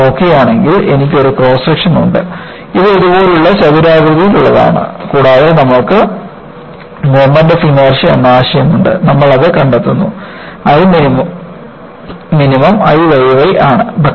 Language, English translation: Malayalam, If you look at, I have a cross section, which is rectangular like this and we also have the concept of moment of inertia and you find that, I minimum is I y y